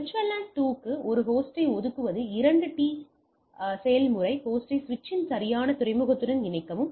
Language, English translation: Tamil, Assigning a host to the VLAN 2 is a two step process right, connect the host to the correct port of the switch